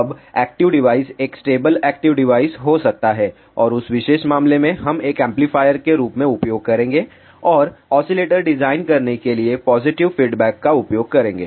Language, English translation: Hindi, Now, active device can be a stable active device, in that particular case we will use that as an amplifier and use positive feedback to design oscillator